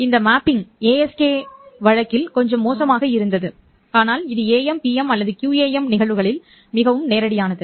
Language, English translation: Tamil, This mapping was little awkward in the ASK case, but it is quite straightforward in the AM, P